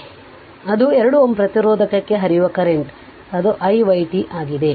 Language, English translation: Kannada, So, that is the current flowing to 2 ohm resistance that is i y t